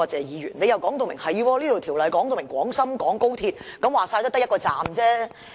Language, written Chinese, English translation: Cantonese, 他表示《條例草案》既已指明廣深港高鐵，說到底也只牽涉1個車站。, He said that since the Bill clearly makes reference to the Guangzhou - Shenzhen - Hong Kong Express Rail Link XRL only one station will be involved after all